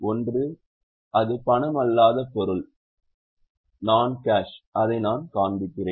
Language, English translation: Tamil, One is if it is non cash, I will just show you the format